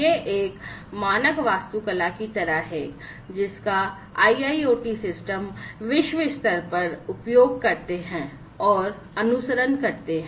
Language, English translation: Hindi, So, this is sort of a standard architecture that IIoT systems globally tend to use and tend to follow